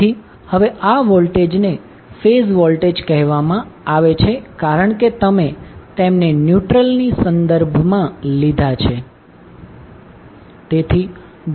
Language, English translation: Gujarati, So, now, these voltages are called phase voltages because you have taken them with respect to neutral